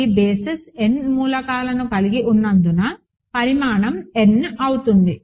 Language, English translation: Telugu, Because this basis has n elements dimension is going to be n